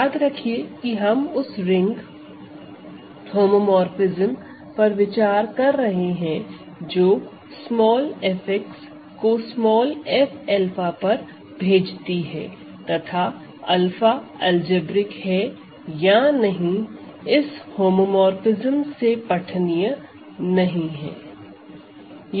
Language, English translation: Hindi, So, remember we consider this ring homomorphism which sends F x to F alpha and whether alpha is algebraic or not is readable from this homomorphism